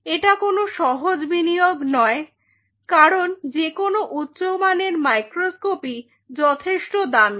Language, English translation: Bengali, This is not an easy investment any good quality microscope costs of fortune